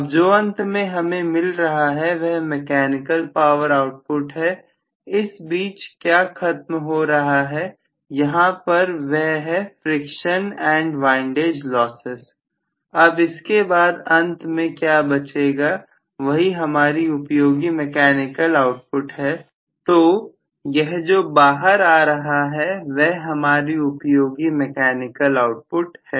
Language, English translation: Hindi, now what is coming out ultimately is actually the mechanical power output, now what is actually lost from here is friction and windage losses, now what is left over finally is the useful mechanical output, so this is going to be the useful mechanical output that comes out